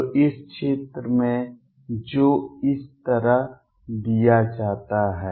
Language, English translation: Hindi, So, in this region which is given like this